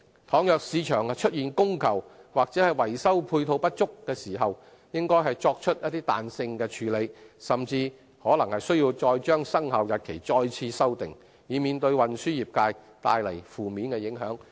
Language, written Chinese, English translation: Cantonese, 倘若市場出現供求或維修配套不足的情況，應作出彈性處理，甚至可能須再次修訂生效日期，以免為運輸業界帶來負面影響。, In case of demand and supply problems or inadequacy of repair facility flexibility should be applied and further amendment to the commencement dates may be required so as to avoid any adverse impact on the transport trades